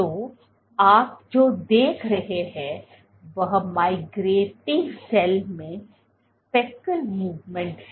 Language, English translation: Hindi, So, what you are looking at is speckle movement in a migrating cell